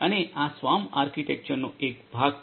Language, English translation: Gujarati, And this is part of the SWAMP architecture